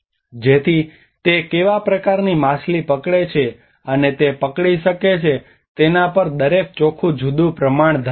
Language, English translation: Gujarati, So that each, and every net have a different proportion on how what kind of fish it catches and it can hold